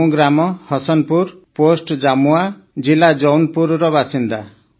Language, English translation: Odia, I am a resident of village Hasanpur, Post Jamua, District Jaunpur